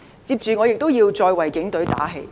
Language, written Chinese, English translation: Cantonese, 接着我也要再為警隊打氣。, Next I have to buck up the Police